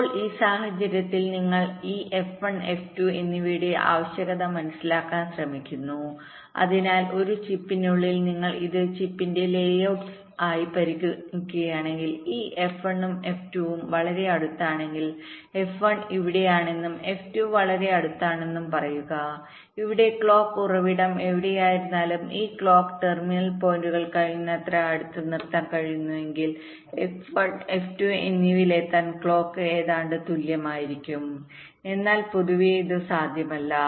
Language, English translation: Malayalam, so if inside a chip, if you consider this as the layout of the chip, if this, this f one and f two are very close together lets say f one is here and f two is very close together then wherever the clock source is, the, the time taken for the clock to reach f one and f two will obviously be approximately equal if we are able to keep this clock terminal points as close as possible